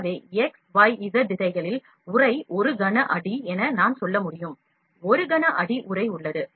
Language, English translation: Tamil, So, in x y z directions, the envelope is 1 cubic feet I can say, 1 cubic feet envelop is there